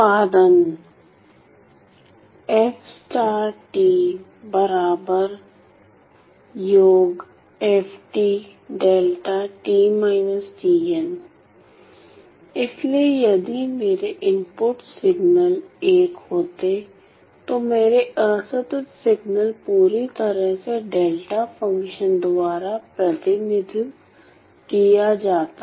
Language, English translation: Hindi, So, if I if my input signals were one were unity then my discrete signals were completely represented by this delta function